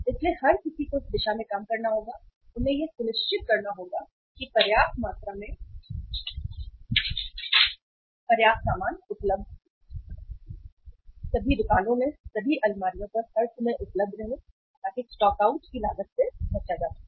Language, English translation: Hindi, So everybody has to work towards this and they have to make sure that sufficient quantity of goods in sufficient amount sufficient supply is available all the times at all the stores all the shelves so that the cost of stockouts can be avoided